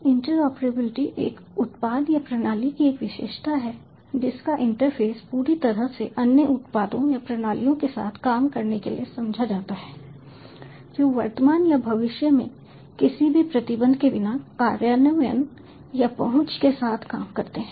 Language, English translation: Hindi, interoperability is a characteristic of a product or system whose interfaces are completely understood to work with other products or systems, present or future, in either implementation or access, without any restrictions